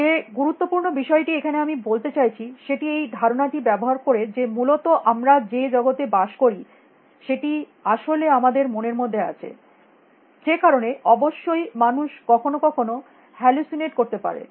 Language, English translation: Bengali, The important thing that I am trying to say is that it uses this idea that the world we live in is actually in our minds out there essentially which is why, of course, sometimes people can hallucinate